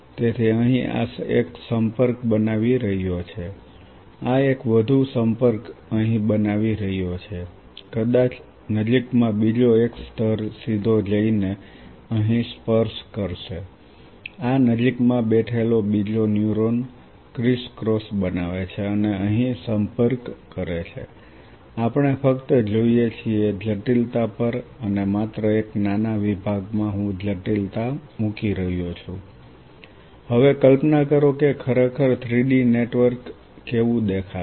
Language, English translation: Gujarati, So, this is forming a contact here, this one is forming further a contact here, maybe another layer in the nearby me directly go and form a contact here, another neuron sitting in this vicinity make criss cross and form a contact here we just look at the complexity and just in a small section I am putting up the complexity is now imagining that how really a 3 D network will really look like